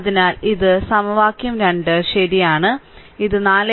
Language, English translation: Malayalam, So, this is equation 2 right, it chapter 4